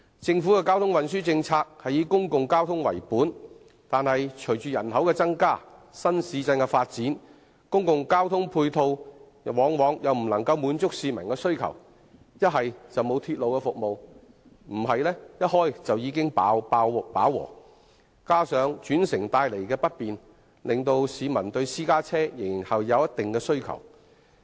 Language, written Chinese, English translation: Cantonese, 政府的交通運輸政策以公共交通為本，但隨着人口增加和新市鎮的發展，公共交通配套往往無法滿足市民的需求，不是沒有鐵路服務，便是鐵路在通車時便已飽和，再加上轉乘帶來不便，令市民對私家車仍有一定的需求。, The Governments transport policy is public - transport oriented but with an increase in population and the development of new towns public transport ancillary facilities often cannot meet public needs . There may be a lack of railway service or the railway service may become saturated soon after it has been commissioned . These problems coupled with the inconvenience caused by the need of interchange have sustained the demand for private cars